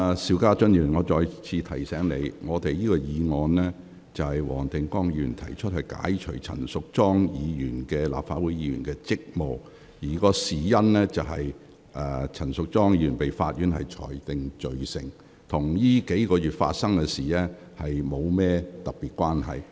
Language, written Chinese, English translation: Cantonese, 邵家臻議員，我再次提醒你，這項由黃定光議員動議的議案旨在解除陳淑莊議員的立法會議員職務，事緣陳淑莊議員早前被區域法院裁定罪成，與過去數月發生的事件並無特別關係。, Mr SHIU Ka - chun I remind you once again . The motion moved by Mr WONG Tin - kwong is to seek to relieve Ms Tanya CHAN of her duties as a Member of the Legislative Council because she was convicted by the District Court earlier . The motion is not specifically related to the incidents which have happened over the past several months ago